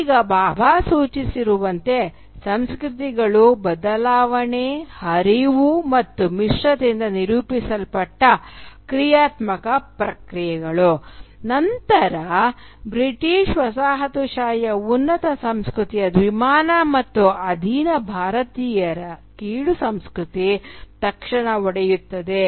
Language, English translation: Kannada, Now as Bhabha suggests cultures are dynamic processes characterised by change, flux, and hybridity, then the binary of a superior culture of the British coloniser and an inferior culture of the subjugated Indians immediately break down